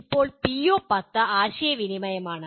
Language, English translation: Malayalam, Now, PO 10 is Communication